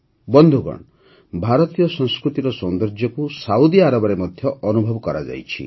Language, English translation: Odia, Friends, the beauty of Indian culture was felt in Saudi Arabia also